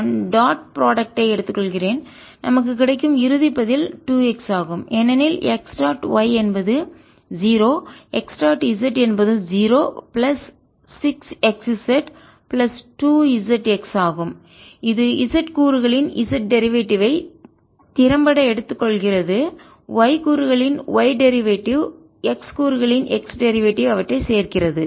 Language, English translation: Tamil, i take the dot product and the final answer that we get is two x because x dot y is zero, x dot z is zero, plus six x z plus two z x, which is effectively taking z derivative of the z component, y derivative of the y component, x derivative of x component